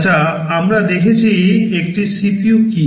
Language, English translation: Bengali, Well we have seen what is a CPU